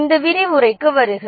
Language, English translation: Tamil, Welcome to this lecture